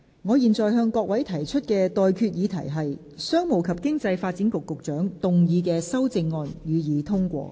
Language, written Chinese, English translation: Cantonese, 我現在向各位提出的待決議題是：商務及經濟發展局局長動議的修正案，予以通過。, I now put the question to you and that is That the amendment moved by the Secretary for Commerce and Economic Development be passed